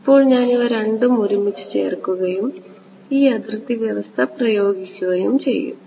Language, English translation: Malayalam, Now I am going to put these two together and impose this boundary condition ok